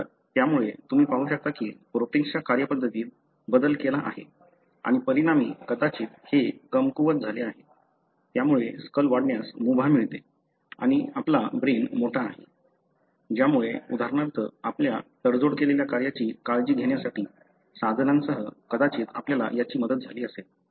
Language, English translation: Marathi, So, you can see that there is a change that really, you know, altered the way the protein functions and as a result probably it has become weak and it allowed the skull to enlarge and you have a larger brain that probably helped us, for example to come up with tools to take care of our compromised function